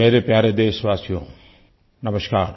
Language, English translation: Hindi, My dearest countrymen namaskar